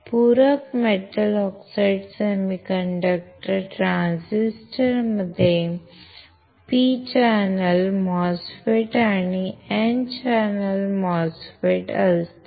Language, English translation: Marathi, Complementary metal oxide semiconductor transistor consists of, P channel MOSFET and N channel MOSFET